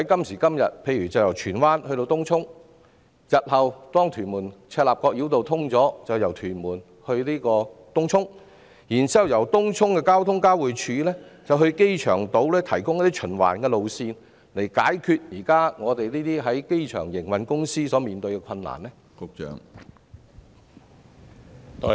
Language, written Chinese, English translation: Cantonese, 以今天由荃灣前往東涌或日後當屯門至赤鱲角連接路通車後由屯門前往東涌為例，政府可考慮提供由東涌的公共運輸交匯處前往機場島的循環路線，以解決現時機場營運公司所面對的困難。, For example for the journeys from Tsuen Wan to Tung Chung today or from Tuen Mun to Tung Chung after the commissioning of the Tuen Mun - Chek Lap Kok Link in the future the Government may consider the introduction of a circular route from the Tung Chung public transport interchange to the airport island as a means of solving the existing difficulties faced by those companies operating at the airport